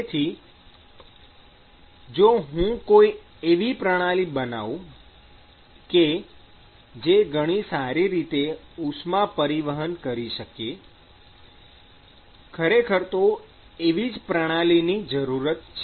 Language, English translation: Gujarati, So, if I can design a system which can transport heat better, then obviously, I am much better placed